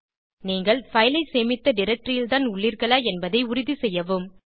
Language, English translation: Tamil, Make sure that you are in the directory in which you have saved your file